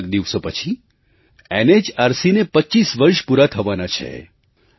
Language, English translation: Gujarati, A few days later NHRC would complete 25 years of its existence